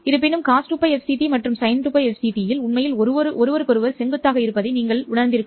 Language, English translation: Tamil, However, if you realize that cause 2 pi fc t and sine 2 pi fc t are actually perpendicular to each other, right